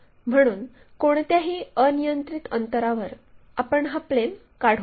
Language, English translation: Marathi, So, at any arbitrary distance we should be in a position to construct this plane